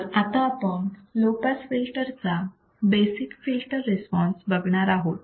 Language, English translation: Marathi, So, let us see basic filter response for the low pass filter